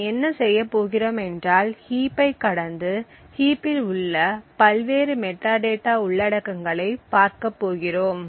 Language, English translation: Tamil, So, what we are going to do is that we are going to traverse the heap and look at the various metadata contents present in the heap